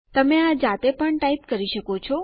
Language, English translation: Gujarati, You could type this manually also